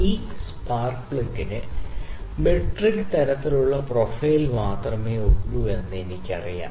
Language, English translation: Malayalam, So, I know that this spark plug is having metric type of profile only